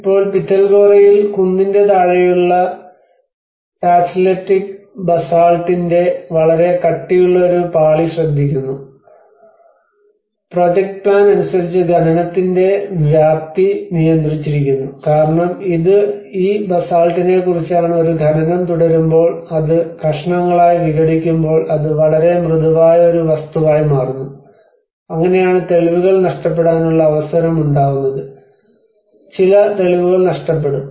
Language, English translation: Malayalam, \ \ \ Now, in Pitalkhora we actually notice a very thick layer of Tacheletic Basalt at the lower proximity of the hill, which have restricted the scope of excavation as per projected plans because you know this is about this Basalt which actually sometimes it becomes a very soft material when keeps making an excavation it breaks into the pieces you know, that is how there is a chance that the evidence will also be losing, we will be losing some evidence